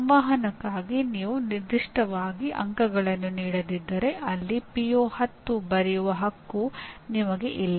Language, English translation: Kannada, If I do not give marks specifically for communication, I do not have right to write PO10 there, okay